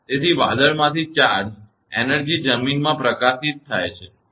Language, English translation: Gujarati, So, the charge energy from the cloud is released into the ground